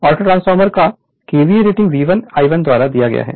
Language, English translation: Hindi, KVA rating of the auto transformer is given by V 1 I 1